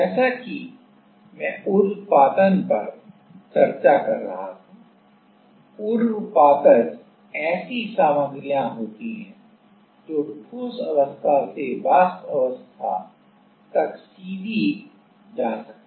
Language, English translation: Hindi, As, I was discussing the sublimation, sublimation there are these materials which can go from solid phase to vapor phase directly